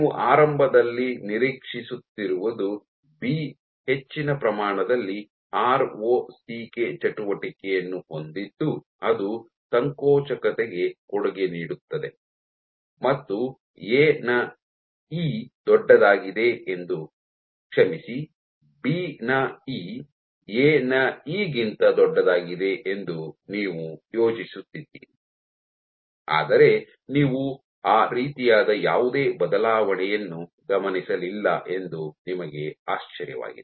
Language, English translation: Kannada, So, what you are initially expecting was because B has higher amount of ROCK activity which contributes to contractility, you are thinking that E of A is greater than sorry E of B is greater than E of A, but you are surprised you did not observe any change